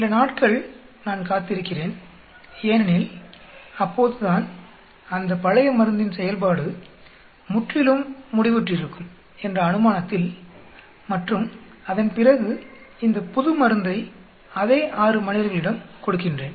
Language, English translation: Tamil, I wait for a few days so that assuming that affect of the old drug gets completely washed out and then I give this new drug on the same 6 volunteers